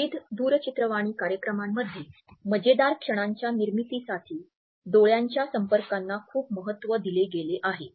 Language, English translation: Marathi, In fact, the significance of eye contact has been adapted in various TV shows to create certain hilarious moments